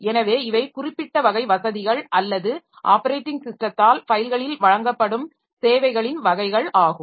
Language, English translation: Tamil, So, these are certain type of facilities or type of services that are provided on files by the operating system